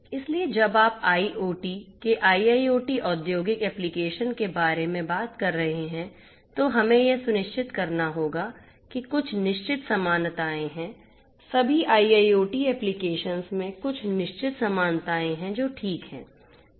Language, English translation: Hindi, So, when you are talking about IIoT industrial applications of IoT we have to ensure that there are certain commonalities, there are certain commonalities across all you know IIoT applications which are fine